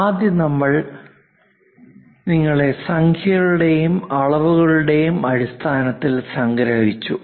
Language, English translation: Malayalam, First one to summarize you again in terms of numerics; dimension